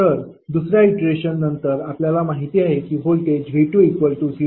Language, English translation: Marathi, So, after second iteration we have just seen that, voltage V2 is 0